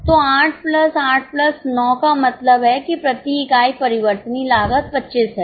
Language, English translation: Hindi, So, 8 plus 8 plus 9 means variable cost per unit is 25